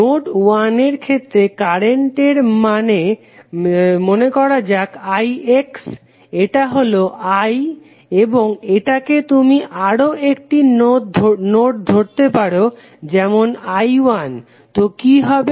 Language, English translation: Bengali, In case of node 1 the value of current say this is i X, this is I and this may you may take another value as i 1, so what will happen